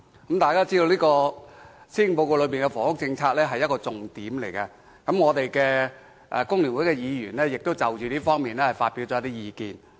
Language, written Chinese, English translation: Cantonese, 大家知道，房屋政策是施政報告中的重點之一，工聯會議員亦就這方面發表了一些意見。, We understand that housing policy is one of the highlights in this Address and Members from FTU have made certain comments in this regard